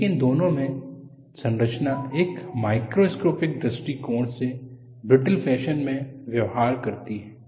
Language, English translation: Hindi, But both the structure, behaves in a brittle fashion from a macroscopic point of view